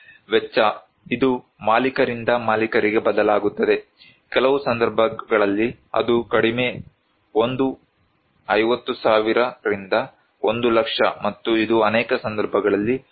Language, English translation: Kannada, The cost, it varies from owner to owner, in some cases it is; the lowest one is 50,000 to 1 lakh and but it is a highly cost like 1